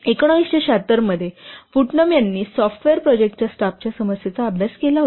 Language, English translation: Marathi, In 1976, Putnam studied the problem of staffing of software projects